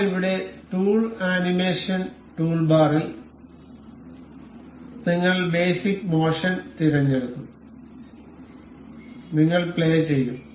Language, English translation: Malayalam, So, now here in the tool animation toolbar, we will select basic motion, and we will play